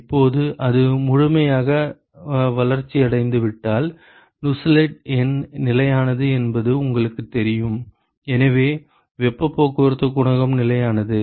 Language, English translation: Tamil, Now, if it is fully developed you know that the Nusselt number is constant right; so, the heat transport coefficient is constant